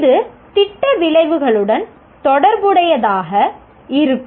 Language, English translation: Tamil, And this is going to be related to the program outcomes